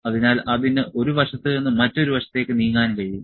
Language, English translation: Malayalam, So, that can move from one side to other side